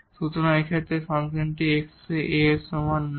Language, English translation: Bengali, So, in this case the function is not differentiable at x is equal to A